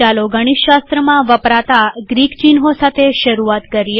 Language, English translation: Gujarati, Let us start with Greek symbols that are used in mathematics